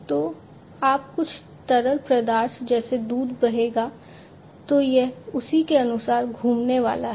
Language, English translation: Hindi, So, when some fluid such as milk will flow then it is going to rotate accordingly